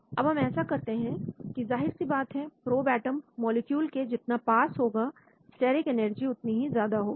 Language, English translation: Hindi, Once we do that, so obviously when closer the probe atom to the molecule, higher is the steric energy